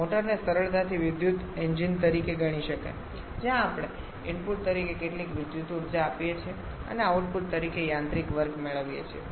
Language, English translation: Gujarati, A motor can easily be considered to be an electrical engine where we are giving some electrical energy as an input and we are getting mechanical work done as the output